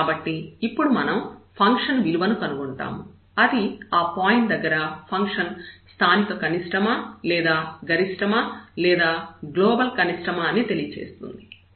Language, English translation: Telugu, So, we will consider, now for this we will find the value of the function and then that will tell us whether the function has the local minimum or the rather minimum or the global minimum at this point